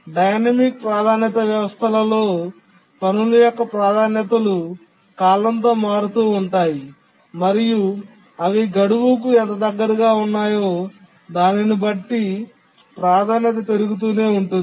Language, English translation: Telugu, In the dynamic priority systems, the priorities of the tasks keep on changing with time depending on how close there to the deadline the priority keeps increasing